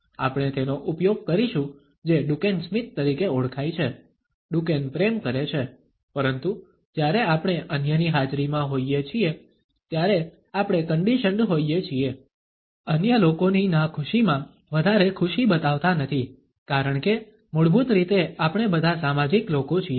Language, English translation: Gujarati, We would be using what is known as the Duchenne smile, the Duchenne loves, but when we are in the presence of others then we have been conditioned, not to show too much of happiness in the unhappiness of other people, because basically we are all social people